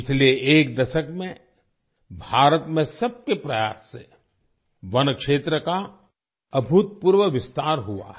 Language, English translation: Hindi, During the last decade, through collective efforts, there has been an unprecedented expansion of forest area in India